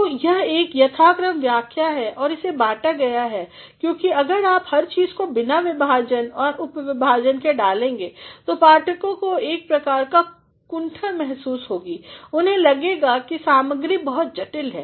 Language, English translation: Hindi, So, it is a systematic explanation and it is divided because if you put everything without division and subdivision the receivers will feel a sort of frustration, they will feel that the material is too complex